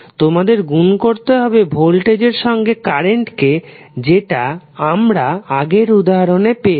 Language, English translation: Bengali, You have to simply multiply voltage v with the current expression which you we got in the previous example